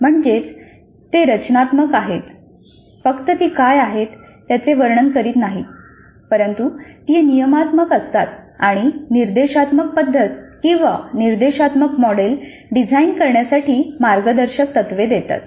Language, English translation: Marathi, Just they do not describe what is but they are prescriptive and give guidelines for designing the instructional method or instructional model